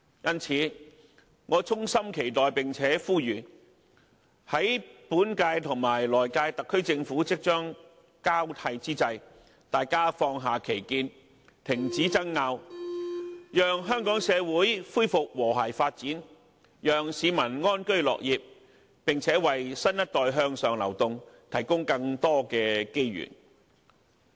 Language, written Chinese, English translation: Cantonese, 因此，我衷心期待並且呼籲，在本屆及來屆特區政府即將交替之際，大家能放下歧見，停止爭拗，讓香港社會恢復和諧發展，讓市民安居樂業，並且為新一代向上流動，提供更多機遇。, In this connection I urge and hope that we can put aside our different opinions and stop the rows during the changeover from the current - term Government to the next - term Government so as to restore harmonious development enable people to live in peace and work happily and provide more opportunities for the upward mobility of the next generation